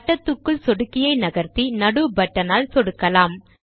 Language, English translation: Tamil, Move the mouse to the circle and now click the middle mouse button